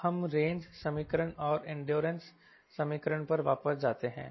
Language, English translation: Hindi, right now let us go back to the range equation and in do a solution